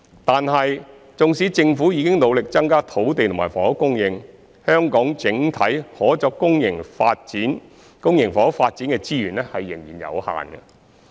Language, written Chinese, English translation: Cantonese, 但是，縱使政府已努力增加土地和房屋供應，香港整體可作公營房屋發展的資源仍然有限。, However despite the Governments efforts to increase the land and housing supply the overall resources available for public housing development in Hong Kong are still limited